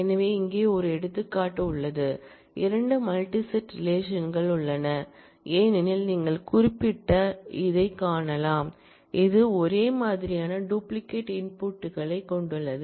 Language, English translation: Tamil, So, here is an example where, there are 2 multi set relations as you can see particularly this one, which has identical duplicate entries